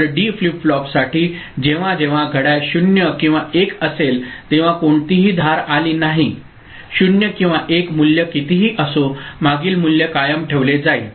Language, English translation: Marathi, So, for D flip flop, whenever the clock is you know, 0 or 1, I mean, no edge has come this is normal say 0 or 1 ok so, irrespective of the value, previous value will be retained